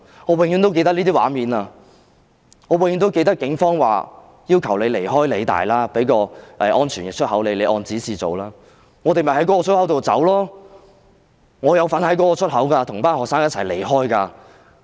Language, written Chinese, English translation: Cantonese, 我永遠也會記得這些畫面，我永遠也會記得警方要求他們離開理大，說會給他們一個安全出口，叫他們按指示從那個出口離開。, I will remember these scenes forever . I will always remember the Police asking them to leave PolyU saying that a safe exit would be provided to them and telling them to leave through that particular exit according to instructions